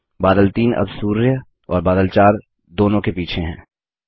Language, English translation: Hindi, Cloud 3 is now behind both the sun and cloud 4